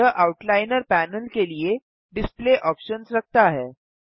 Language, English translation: Hindi, It contains the display options for the outliner panel